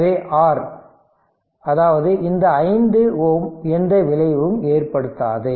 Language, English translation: Tamil, So, R that means, this 5 ohm has no effect right